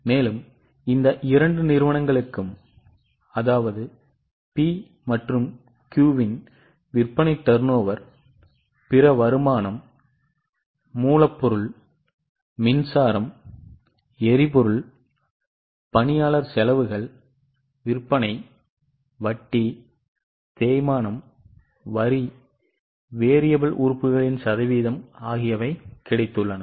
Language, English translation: Tamil, So, for these two companies P and Q we have got sales turnover, other income, then raw material, power, fuel, employee costs, selling, interest, depreciation, taxes